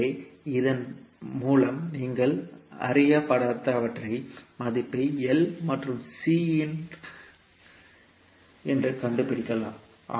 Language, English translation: Tamil, So with this you can find out the value of unknowns that is L and C